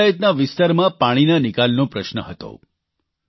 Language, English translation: Gujarati, This Panchayat faced the problem of water drainage